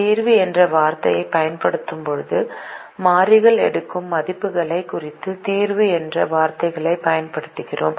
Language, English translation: Tamil, when we use the word solution, we use the word solution to indicate values that the variables take